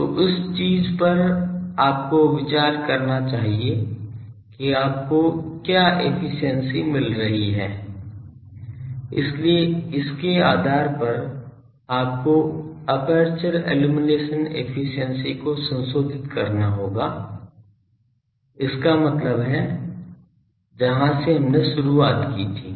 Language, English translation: Hindi, So, that thing that you should consider that what is a efficiency you are getting; so, based on that you will have to modify the aperture illumination efficiency; that means, where from we have started